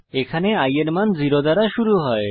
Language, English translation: Bengali, Here, the value of i starts with 0